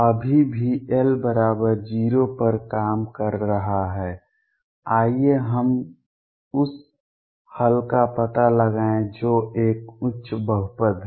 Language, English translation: Hindi, Still working on l equals 0; let us find out the solution which is a higher polynomial